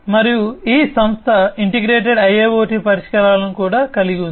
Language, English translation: Telugu, And this company is also incorporating integrated IIoT solutions